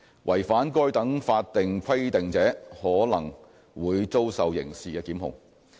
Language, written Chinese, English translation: Cantonese, 違反該等法定規定者可能會遭受刑事檢控。, Breaches of these statutory requirements may result in criminal prosecution